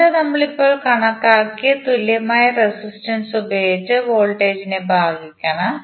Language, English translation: Malayalam, Current you have to just simply divide the resistor, the voltage by equivalent resistance which we have just calculated